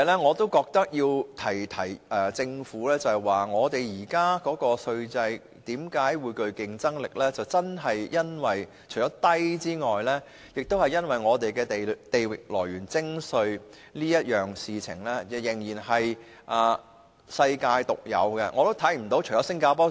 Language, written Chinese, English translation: Cantonese, 我要提醒政府的另一點是，本港現時的稅制之所以具競爭力，除了因為稅率低外，更因為本港的地域來源徵稅原則仍是世界獨有。, Another point I would like to remind the Government is that the tax regime of Hong Kong is competitive not only because of its low tax rates but also its territorial source principle of taxation that is still unique in the world